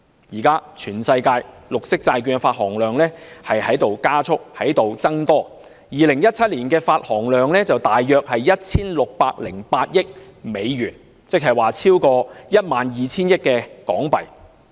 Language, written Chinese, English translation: Cantonese, 現時全球綠色債券的發行量正加速增長 ，2017 年發行量約為 1,608 億美元，即超過 12,000 億港元。, At present the growth in the issuance size of green bonds has been accelerating around the world . In 2017 the issuance amounted to about US160.8 billion or more than HK1,200 billion